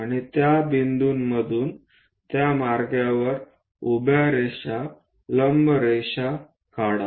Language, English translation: Marathi, And from those points draw vertical lines perpendicular lines in that way